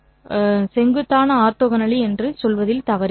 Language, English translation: Tamil, So, this perpendicularity is nothing but orthogonality